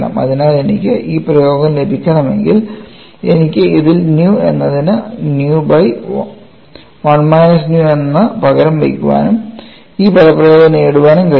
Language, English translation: Malayalam, So, if I have to get this expression, I can simply substituted nu as nu by 1 minus nu in this and get this expression also